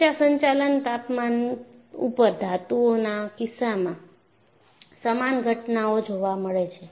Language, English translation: Gujarati, A similar phenomena occurs in the case of metals at high operating temperatures